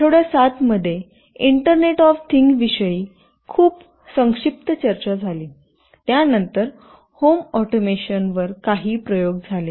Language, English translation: Marathi, And in week 7, there was a very brief discussion about internet of things , then there were some experiments on home automation